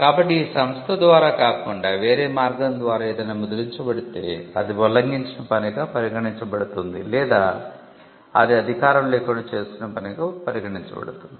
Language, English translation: Telugu, So, anything that was printed other than by this company would be regarded as an infringing work or that will be regarded as something that was done without authorisation